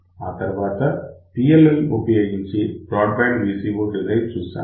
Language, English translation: Telugu, After that we look at a broadband VCO design using PLL